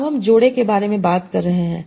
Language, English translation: Hindi, That is, now I am talking about pairs